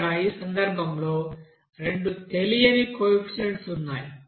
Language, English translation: Telugu, So Here in this case, we are getting two unknown coefficients